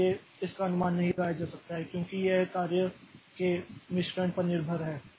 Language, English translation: Hindi, So, that cannot be predicted because it is very much dependent on the job mix that we have